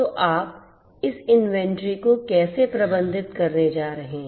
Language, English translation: Hindi, So, how you are going to manage this inventory